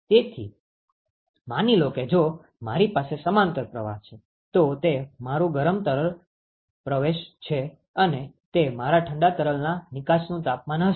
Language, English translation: Gujarati, So, therefore supposing if I have a parallel flow, so that is my hot fluid inlet and that will be my cold fluid outlet temperature